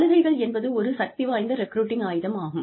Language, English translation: Tamil, Benefits are a powerful recruiting tool